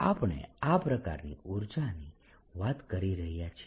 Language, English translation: Gujarati, this is a kind of energy we are talking about